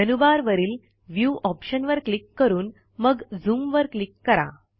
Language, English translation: Marathi, Click on the View option in the menu bar and then click on Zoom